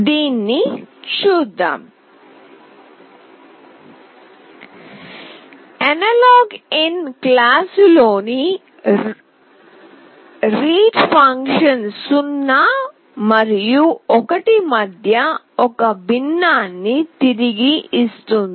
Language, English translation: Telugu, Let us see this, the read function in the AnalogIn class returns a fraction between 0 and 1